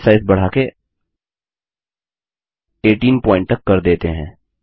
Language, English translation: Hindi, Let us increase the Base size to 18 point